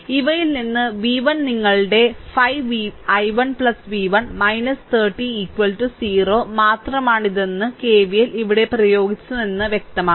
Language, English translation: Malayalam, So, v 1 is equal to from these it is clear that I applied that KVL here only that is your 5 i 1 plus v 1 minus 30 is equal to 0 right